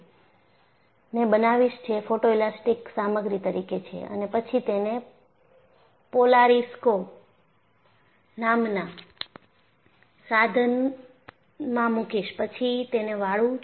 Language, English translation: Gujarati, So, what I am going to do is I will now make a beam out of Epoxy which is a photoelastic material, and then put it in an equipment called the polar scope, and bend it